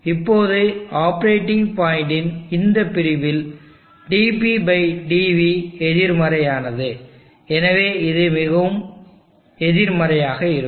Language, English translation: Tamil, Now in this section of the operating point, dp/dv is negative, so therefore this will be more negative